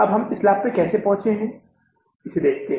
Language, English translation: Hindi, Now how we have arrived at this profit